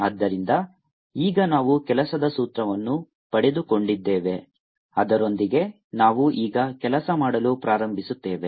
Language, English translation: Kannada, so now we got an working formula with which we now start working